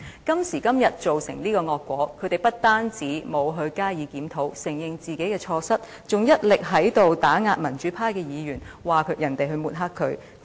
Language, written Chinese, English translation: Cantonese, 今時今日，造成這個惡果，他們不但沒有加以檢討，承認自己的錯失，還一力打壓民主派議員，說別人抹黑他們。, Now that as this bitter fruit is resulted not only have they failed to reflect on themselves and admit their mistakes they have even made the utmost effort to attack the pro - democracy Members saying that other people have besmirched them